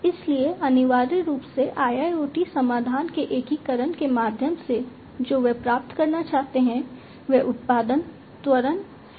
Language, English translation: Hindi, So, essentially through the integration of IIoT solution what they want to achieve is the production acceleration